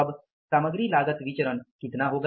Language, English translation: Hindi, Now material cost variance is how much